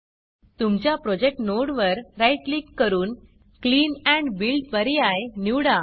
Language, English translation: Marathi, And right click on your project node and select Clean and Build option